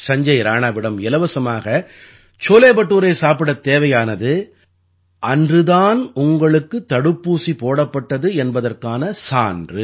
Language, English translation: Tamil, To eat Sanjay Rana ji'scholebhature for free, you have to show that you have got the vaccine administered on the very day